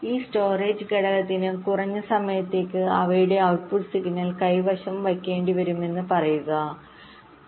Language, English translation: Malayalam, see, it says that this storage element will have to hold their output signal for a minimum period of time